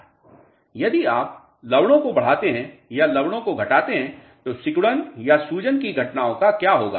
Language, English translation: Hindi, If you increase the salts or decrease the salts what will happen to shrinkage or swelling phenomena